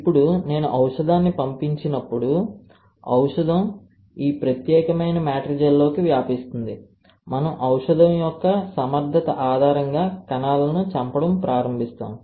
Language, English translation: Telugu, Now, when I flow drug, the drug will diffuse into this particular matrigel as we start killing the cells based on the efficacy of the drug